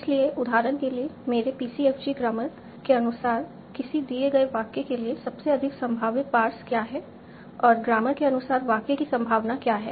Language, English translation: Hindi, For example, what is the most likely parsed for a given sentence as per my PCFG grammar and what is the probability of the sentence as for the grammar